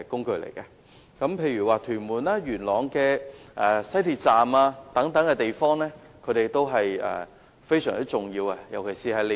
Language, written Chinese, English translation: Cantonese, 居民如要前往屯門或元朗的西鐵站，單車對他們來說都是非常重要的接駁工具。, To residents who wish to go to the Tuen Mun or Yuen Long Station of the West Rail Line bicycles are a very important means of feeder transport